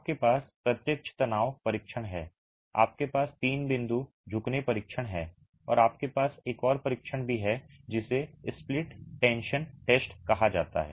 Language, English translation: Hindi, You have the direct tension test, you have the three point bending test and you also have another test called the split tension test